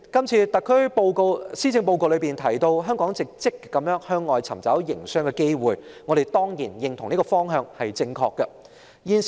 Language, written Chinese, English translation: Cantonese, 主席，這份施政報告提到，香港正積極向外尋找營商機會，我們當然認同這是正確的方向。, President it is mentioned in this Policy Address that Hong Kong is making a proactive effort to identify business opportunities overseas . We fully agree that this is the right direction